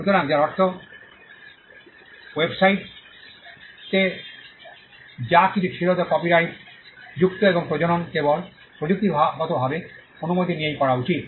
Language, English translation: Bengali, So, which means everything that was put on the website is copyrighted and reproduction should be done only technically with permission